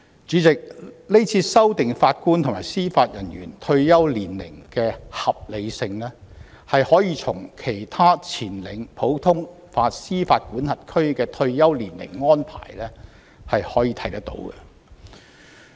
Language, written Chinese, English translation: Cantonese, 主席，今次修訂法官及司法人員退休年齡的合理性可見於其他領先普通法司法管轄區的退休年齡安排。, President the current revisions to the retirement ages for Judges and Judicial Officers can be justified by the retirement age arrangements in other leading common law jurisdictions